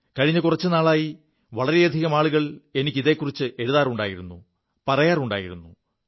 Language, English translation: Malayalam, Over some time lately, many have written on this subject; many of them have been telling me about it